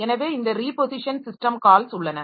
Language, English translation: Tamil, So, this reposition system call is there